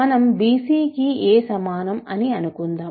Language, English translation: Telugu, So, suppose we have a is equal to bc